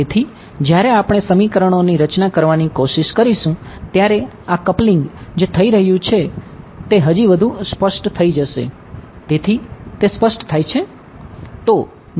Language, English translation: Gujarati, So, when we try to form the system of equations this will become even more clear this coupling that is happening